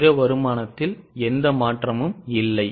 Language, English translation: Tamil, Other income is going to be same